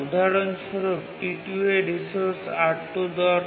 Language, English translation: Bengali, For example, T2 needs the resource R2